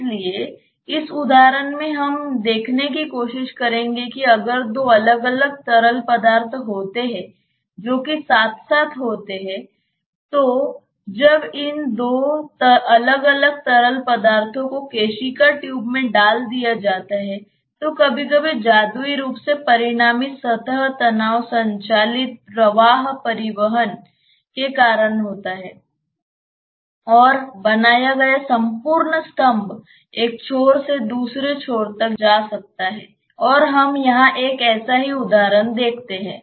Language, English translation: Hindi, So, in this example what we will try to see is that if there are two different liquids which are there side by side then when these two different liquids are put in a capillary tube sometimes magically because of the resultant surface tension driven flow transport that is created the entire column may move from one end to the other end and we see one such example here